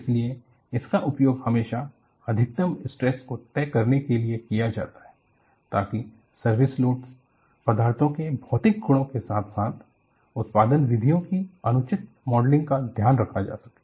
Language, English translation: Hindi, So, this is always used to decide the maximum stress allowed, to take care of improper modeling of service loads, material properties as well as production methods